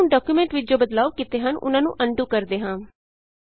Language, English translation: Punjabi, Now lets undo the change we made in the document